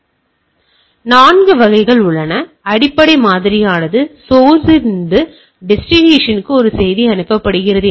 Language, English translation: Tamil, So, these are the 4 type, basic model is that a message is being sent to source to destination